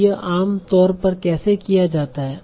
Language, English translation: Hindi, So how is it generally done